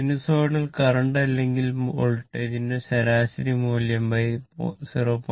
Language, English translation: Malayalam, Average value of the sinusoidal current or voltage both are multiplied by 0